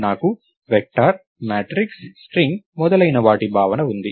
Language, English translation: Telugu, So, I have the notion of a vector, a matrix, a string and so, on